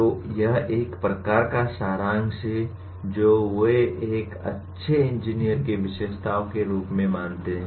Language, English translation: Hindi, So this is a kind of a summary of what they consider as the characteristics of a good engineer